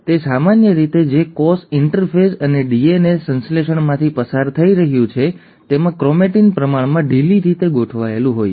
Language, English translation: Gujarati, Now normally, in a cell which is undergoing interphase and DNA synthesis, the chromatin is relatively loosely arranged